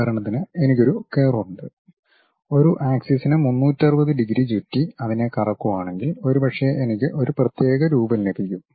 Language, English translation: Malayalam, For example, if I have some arbitrary curve and about an axis if I am going to revolve it by 360 degrees, perhaps I might be going to get one particular shape